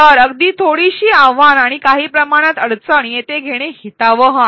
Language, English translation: Marathi, So, even some amount of challenge some amount of difficulty could be desirable here